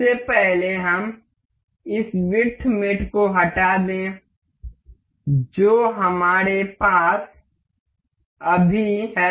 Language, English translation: Hindi, First of all, let us just delete this width mate that we have just in